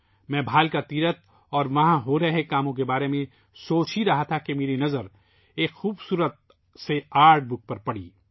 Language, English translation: Urdu, I was thinking of Bhalaka Teerth and the works going on there when I noticed a beautiful artbook